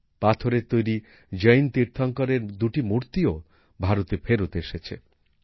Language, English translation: Bengali, Two stone idols of Jain Tirthankaras have also come back to India